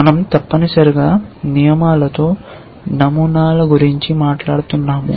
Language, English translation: Telugu, We are talking about patterns in rules essentially